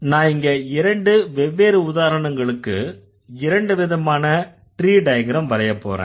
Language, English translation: Tamil, And I am going to draw two different tree diagram like two different examples